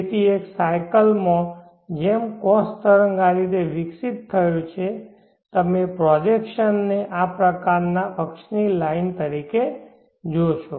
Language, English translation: Gujarati, So in a cycle as the cos waves as a evolved like this you will see the projection as a line on this axis like this